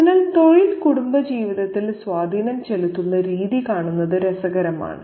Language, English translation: Malayalam, So, it's interesting to see the way the profession has an impact on familial life